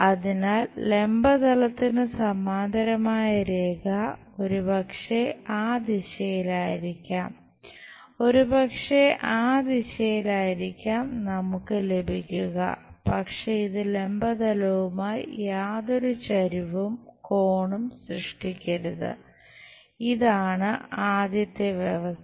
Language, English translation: Malayalam, So, any line parallel to vertical plane may be in that direction, maybe in that direction we will have, but it should not make any inclination angle with vertical plane, this is the first condition